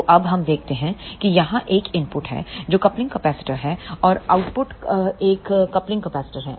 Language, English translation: Hindi, So, let us see now here is an input this is the coupling capacitor and output there is a coupling capacitor